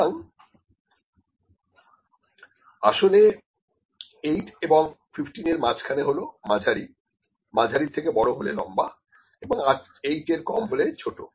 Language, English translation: Bengali, So, actually medium is between 15 and 8, more than medium is long, less than 8 is small